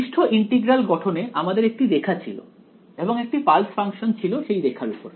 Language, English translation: Bengali, In the surface integral formulation I had a line and I had pulse functions on that line